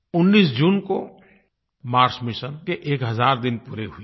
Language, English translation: Hindi, On the 19th of June, our Mars Mission completed one thousand days